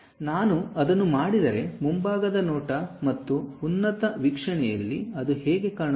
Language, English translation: Kannada, If I do that; how it looks like in front view and top view